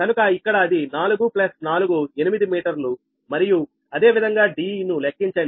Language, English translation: Telugu, so here it is four plus four, eight meter and d and similarly calculate d